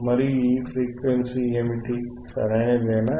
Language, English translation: Telugu, And what is this frequency, right